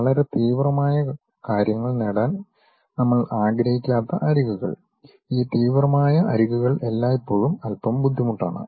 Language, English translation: Malayalam, Edges we do not want to really have very sharp things, making these sharp edges always be bit difficult also